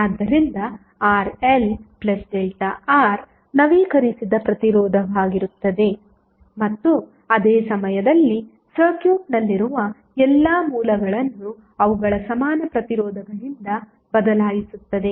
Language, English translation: Kannada, So, Rl plus delta R will be the updated resistance while at the same time replacing all sources in the circuit by their equally impedances